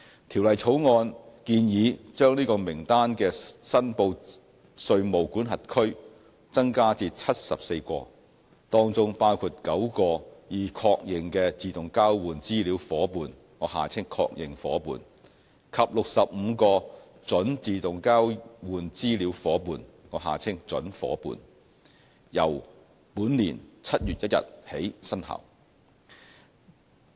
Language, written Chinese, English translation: Cantonese, 《條例草案》建議把這名單的"申報稅務管轄區"增加至74個，當中包括9個已確認的自動交換資料夥伴及65個準自動交換資料夥伴，由本年7月1日起生效。, The Bill proposes to increase the number of reportable jurisdictions on the list to 74 which will include nine confirmed AEOI partners and 65 prospective AEOI partners to be effective from 1 July this year